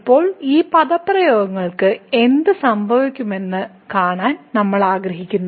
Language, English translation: Malayalam, And now we want to see that what will happen to these expressions